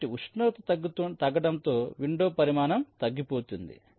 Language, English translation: Telugu, ok, so window size shrinks as the temperature decreases